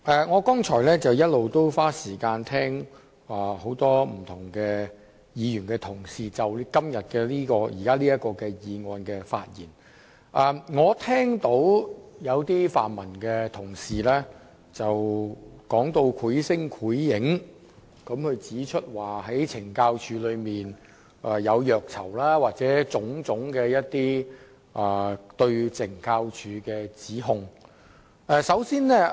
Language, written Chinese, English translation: Cantonese, 我剛才花時間聽了多位議員就今天這項議案的發言，發現有些泛民同事說得繪聲繪影，指懲教署內有虐囚情況，又或提出其他種種對懲教署的指控。, I have spent some time listening to speeches delivered by a number of Members just now on this motion moved today and found that colleagues from the pan - democratic camp have given some very vivid descriptions about the torturing of prisoners within the Correctional Services Department CSD or many other allegations against CSD